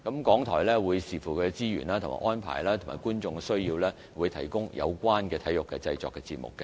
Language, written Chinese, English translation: Cantonese, 港台則會視乎其資源和安排，以及觀眾的需要，提供有關的體育製作節目。, And RTHK will produce its own sports programmes depending on resources technical arrangements and viewers demand